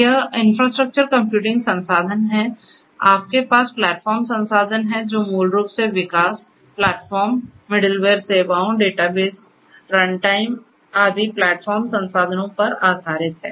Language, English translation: Hindi, So, that is the infrastructure computing resource, then you have the platform resource which is basically in the form of the development, platform, the middleware services, database runtime and so on the platform resources